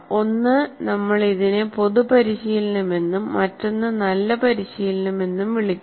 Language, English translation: Malayalam, One we call it common practice and the other one is good practice